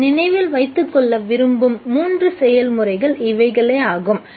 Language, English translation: Tamil, These are the three processes that I would like you to remember